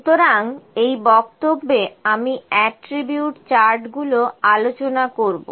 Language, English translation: Bengali, So, I will discuss the attribute charts in this lecture